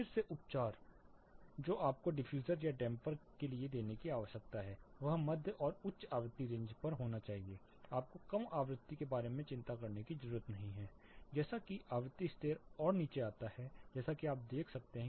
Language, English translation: Hindi, Again the treatment that you need to give for diffusers or dampers should be on mid and high frequency ranges, you do not have to worry about the low frequency